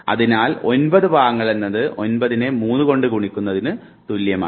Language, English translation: Malayalam, So, 9 chunks may will primarily mean that 9 into 3, if you are making a chunk of 3